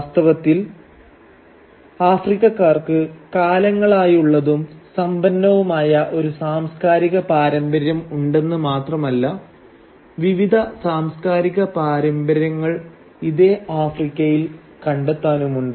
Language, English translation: Malayalam, In fact, not only did the Africans have a long and rich cultural tradition, cultural traditions in fact, various cultural traditions are to be found in Africa today